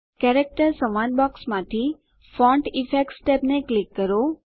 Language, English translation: Gujarati, From the Character dialog box, click Font Effects tab